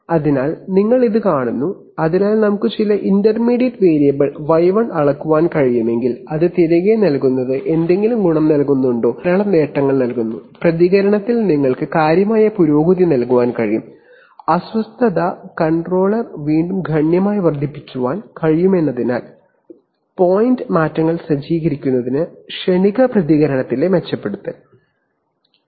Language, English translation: Malayalam, So you see that, so if, so the question is that if we could measure some intermediate variable y1 then feeding it back, does it give any advantage, actually it gives plenty of advantage, you can give significant improvement in response, to disturbance, also improvement in transient response, to step, to set point changes because the controller again can be significantly enhanced